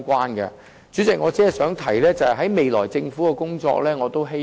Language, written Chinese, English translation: Cantonese, 代理主席，我只想提出我對政府未來工作的期望。, Deputy President I only wish to talk about what I expect the Government to do in the future